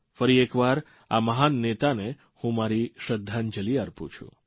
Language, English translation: Gujarati, Once again I pay my homage to a great leader like him